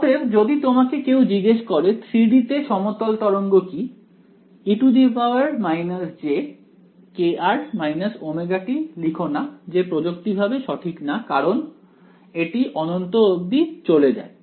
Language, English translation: Bengali, So, if someone ask you what is the plane wave in 3D, do not write e to the minus j k r minus omega t that is technically not right because it is goes up to infinity right